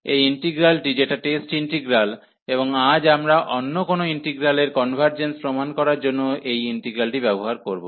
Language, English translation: Bengali, So, this integral which is the test integral, and today we will use this integral to prove the convergence of other integrals